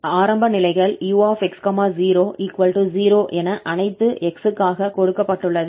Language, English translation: Tamil, The initial conditions are given as u x at t equal to 0 this is 0 for all x